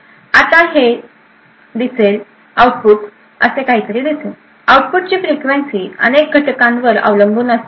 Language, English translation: Marathi, Now it would look, the output would look something like this, the frequency of the output depends on multiple factors